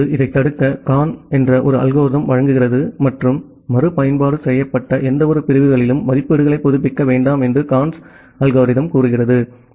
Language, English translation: Tamil, Now, to prevent this Karn provides an algorithm and the Karns algorithm says that do not update the estimates on any segments that has been retransmitted